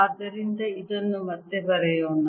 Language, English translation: Kannada, so let's try this again